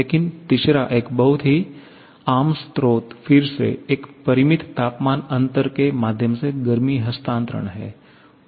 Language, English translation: Hindi, But the third one is a very common source again, heat transfer through a finite temperature difference